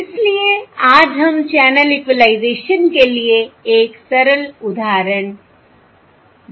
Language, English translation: Hindi, So today let us look at a simple example for channel equalisation